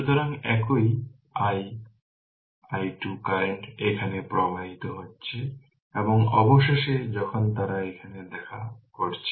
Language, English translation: Bengali, So, same i same i 2 current is flowing here right and finally, when they are meeting it here